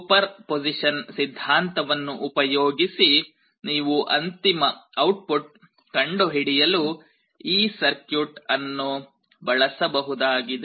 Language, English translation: Kannada, Using principle of superposition you can use this circuit to carry out the final calculation that will give you the final output